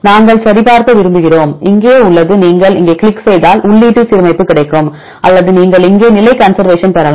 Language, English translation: Tamil, So, we want to check your input this is input alignment is here if you click on here you will get the input alignment or you can get the positional conservation here